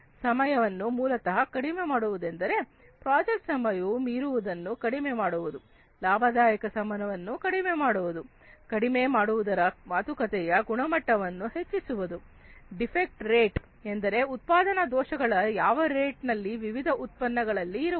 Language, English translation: Kannada, Time reduction basically reducing the project time overrun, decreasing the profitable time etcetera; improving quality talks about decreasing the defect rate that means the rate at in which, rate at which the manufacturing defects in these different products are going to be there